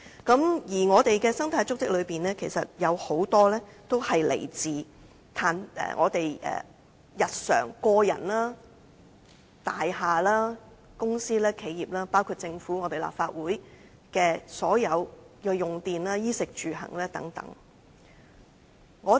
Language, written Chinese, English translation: Cantonese, 在我們的生態足跡當中，包括了個人日常的衣食住行，大廈、公司企業、政府和立法會的所有用電等。, Our ecological footprint includes our daily activities in meeting our basic needs and the power consumption of buildings companies enterprises the Government and the Legislative Council and so on